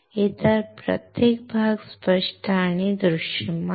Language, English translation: Marathi, Every other region is clear and visible